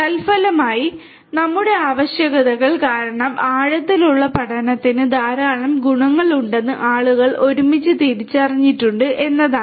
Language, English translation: Malayalam, And consequently what we have is that together people have realized nowadays that deep learning has lot of benefits because of these necessities